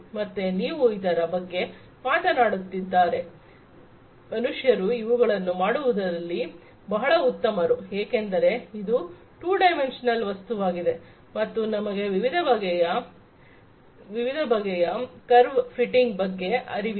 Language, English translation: Kannada, So, if you are talking about this kind of thing, the humans are very good in doing things because it is a 2 dimensional thing and we know different ways of curve fitting etcetera